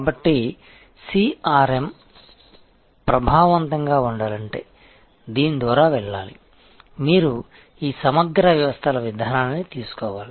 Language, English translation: Telugu, So, CRM to be effective must go through this, you have to take this holistic systems approach